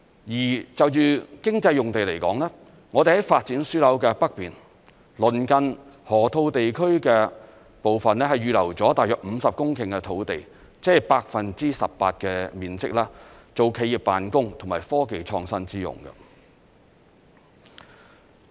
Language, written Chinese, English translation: Cantonese, 而就着經濟用地來說，我們在發展樞紐的北面，鄰近河套地區的部分，預留了大約50公頃的土地，即是 18% 的面積，作企業辦公和科技創新之用。, With regards to economic land uses during the development of the North side of the Node we have earmarked a site of about 50 hectares adjacent to the Lok Ma Chau Loop roughly 18 % of the total area for the construction of offices and innovative technology